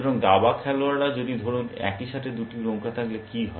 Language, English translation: Bengali, So, chess players, what say things like, if there are two rooks in the same